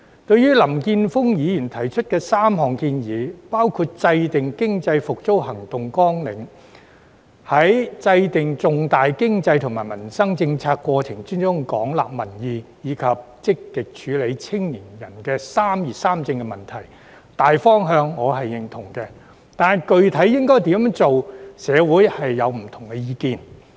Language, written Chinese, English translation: Cantonese, 對於林健鋒議員提出的3項建議，包括制訂經濟復蘇行動綱領、在制訂重大經濟及民生政策過程中廣納民意，以及積極處理青年人的"三業三政"問題，大方向我是認同的，但具體應怎樣做，社會上有不同意見。, Mr Jeffrey LAM has put forward three proposals including formulating action plans for economic recovery extensively collecting public views in the process of formulating major economic and livelihood - related policies and actively addressing young peoples concerns about education career pursuit and home ownership . I concur with the general direction but there are divergent views in the community on what specifically should be done